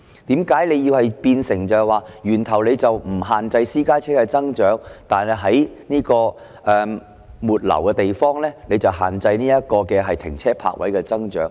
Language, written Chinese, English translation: Cantonese, 為何不在源頭限制私家車的增長，反而在末流的地方限制停車泊位的增長？, Why does he not limit the growth of private cars at source but instead limit the growth of parking spaces downstream?